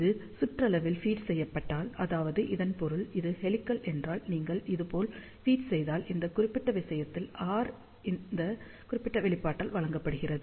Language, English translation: Tamil, If it is fed along the periphery that means, if this is the helix, if you feed like this, in that particular case R is given by this particular expression